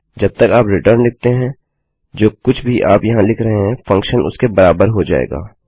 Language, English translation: Hindi, As long as you say return whatever you say here the function will equal that